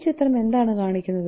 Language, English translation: Malayalam, So what is this picture depicts all about